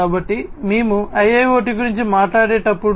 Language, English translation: Telugu, So, when we talk about a IIoT Industrial IoT